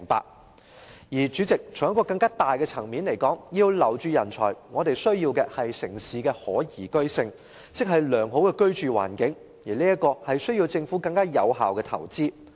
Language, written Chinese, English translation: Cantonese, 代理主席，在更大的層面來說，要留住人才，我們需要的是城市的可宜居性，即良好的居住環境，這需要政府作出更有效的投資。, Deputy Chairman at the macro level the liveability of a city is essential to retaining talents . In other words we need to have a good living environment and this requires the Government to make investment in a more effective manner